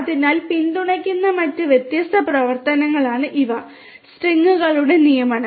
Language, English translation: Malayalam, So, these are the different other operations that are supported assignment of strings